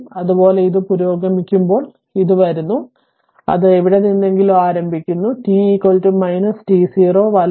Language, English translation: Malayalam, Similarly, when it is advanced it is coming it is starting from somewhere at t is equal to minus t 0 right